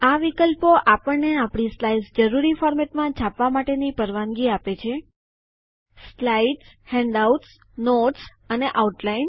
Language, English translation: Gujarati, These options allow us to take prints of our slides in the desired format Slides Handouts Notes and Outline